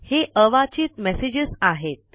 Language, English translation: Marathi, These are the unread messages